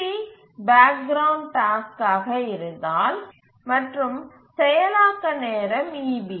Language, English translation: Tamil, If TB is the background task and processing time is eB